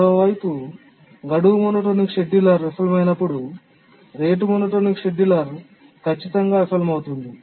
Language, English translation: Telugu, But on the other hand, whenever the deadline monotonic scheduler fails, the rate monotonic scheduler will definitely fail